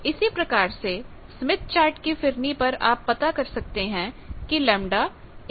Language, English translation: Hindi, So, in the Smith Chart periphery you can find out what is 1